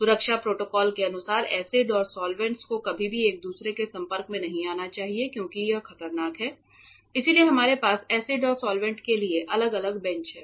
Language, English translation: Hindi, As per safety protocols acids and solvents must never come in contact with each other because that is dangerous ok, that is why we have separate benches for acids and solvents ok